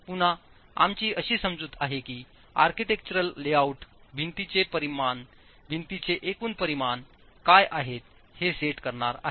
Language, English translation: Marathi, Again, our assumption is that the architectural layout is going to set what are the dimensions of the wall, the overall dimensions of the wall